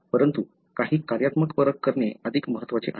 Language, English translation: Marathi, But, it is more important to do some functional assays